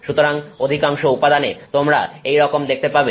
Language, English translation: Bengali, So, this is what you see in most materials